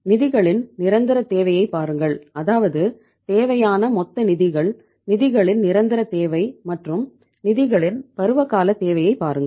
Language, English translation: Tamil, Look at the permanent requirement of the funds we have given that is the total funds required, permanent requirement of the funds, and the seasonal requirement of the funds